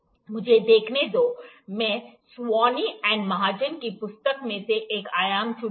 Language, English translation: Hindi, Let me see, I will pick one dimension from the book that is the book by Sawhney and Mahajan